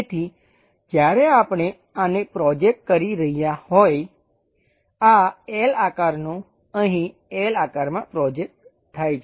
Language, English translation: Gujarati, So, when we are projecting this one this L shaped one projected into L shape here